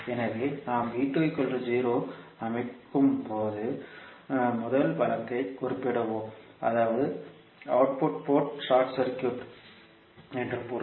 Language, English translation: Tamil, So, let us state first case in which we set V2 is equal to 0 that means the output port is short circuited